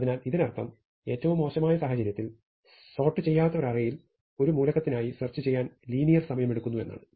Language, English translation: Malayalam, So, this means that in the worst case searching for an element in an unsorted array takes linear time